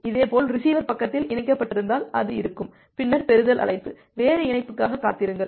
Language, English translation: Tamil, Similarly at the receiver side it will be if connected, then make a receive call; else wait for the connection